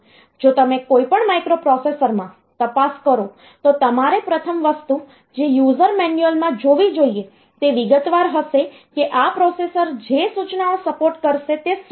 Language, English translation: Gujarati, So, if you look into any microprocessor the first thing that you should do is to look into the user manual and the user manual, it will be detailed like what are the instructions that this processor will support